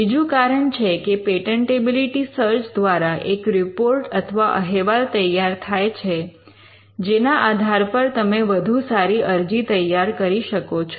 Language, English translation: Gujarati, The second reason is that a patentability search which generates a report can help you to prepare a better application